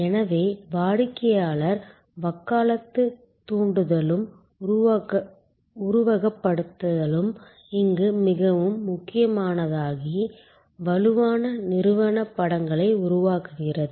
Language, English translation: Tamil, So, stimulation and simulation of customer advocacy becomes very important here creates strong organizational images